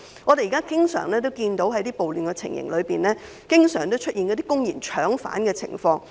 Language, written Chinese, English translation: Cantonese, 我們現時經常在一些暴亂情形中看到出現公然"搶犯"的情況。, Now we often see arrestees being blatantly snatched away in some riot situations